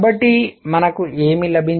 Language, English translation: Telugu, So, what have we got